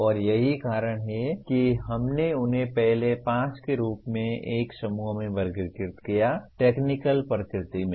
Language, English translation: Hindi, And that is why we grouped them as the first 5 into one group, technical in nature